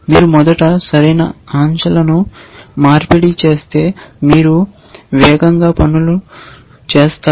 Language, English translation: Telugu, If you exchange the correct elements first then you will do things